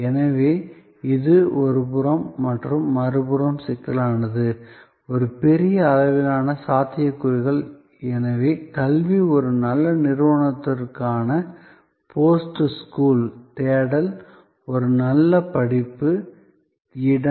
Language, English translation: Tamil, So, this on one hand complexity on another hand, a huge range of possibilities, so education, post school search for a good institution, a good course, location